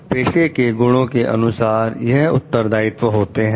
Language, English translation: Hindi, By virtue of profession, you get these responsibilities